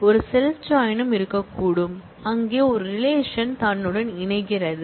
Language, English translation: Tamil, There could be a self join also, where one relation is joined with itself